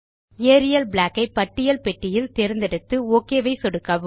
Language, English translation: Tamil, Let us choose Arial Black in the list box and click on the Ok button